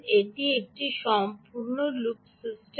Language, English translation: Bengali, its a complete close loop system